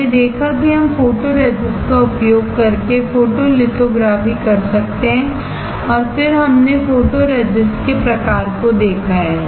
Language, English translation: Hindi, We have seen that, we can perform the photolithography using photoresist and then we have seen the type of photoresist